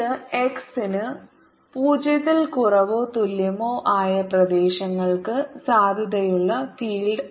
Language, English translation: Malayalam, and this is field which is valid for regions for x less than or equal to zero